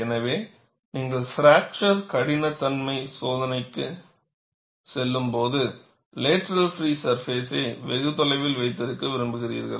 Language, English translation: Tamil, So, when you are going in for fracture toughness testing, you would like to have the lateral free surface far away